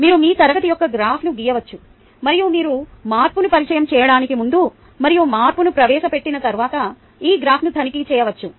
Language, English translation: Telugu, you can plot a graph of your class and check this graph before you introduce the change and after you introduce the change